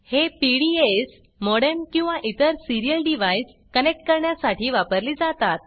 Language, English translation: Marathi, These are used for connecting PDAs, modem or other serial devices